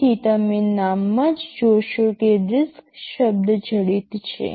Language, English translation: Gujarati, So, you see in the name itself the word RISC is embedded